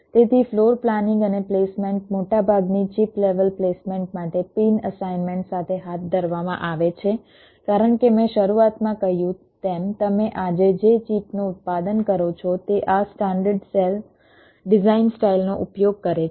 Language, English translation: Gujarati, so floor planning and placement are carried out with pin assignment for most of the chip level placement because, as i said in the beginning, most of the chips that you manufacture